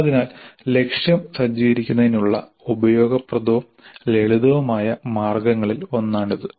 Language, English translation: Malayalam, So this is one of the useful and simple ways of setting the target